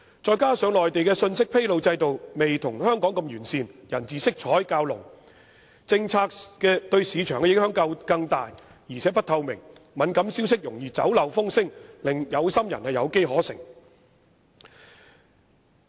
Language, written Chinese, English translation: Cantonese, 此外，內地的信息披露制度未如香港般完善，人治色彩較濃，政策對市場的影響更大，而且不透明，敏感消息容易泄漏，令有心人有機可乘。, Furthermore the Mainlands disclosure system is not as comprehensive as the system in Hong Kong in the sense that it is marked by a heavy rule - of - man aura greater policy implications on the market a lack of transparency and also a susceptible leakage of sensitive information . This may enable those with ulterior motives to manipulate the loopholes